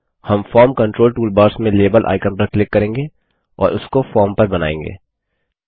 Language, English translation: Hindi, We will click on the Label icon in the Form Controls toolbar at the top, and draw it on the form